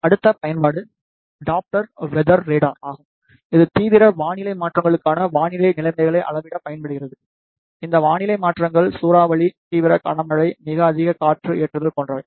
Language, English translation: Tamil, The next application is the Doppler weather radar, which is used for the measurement of weather conditions for the extreme weather changes, these weather changes could be like cyclone, extreme heavy rainfall, extremely high wind loading etcetera